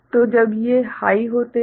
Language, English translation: Hindi, So, when these are high